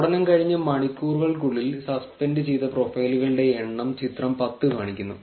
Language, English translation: Malayalam, So, figure 10 shows the number of suspended profile stated in hours after the blast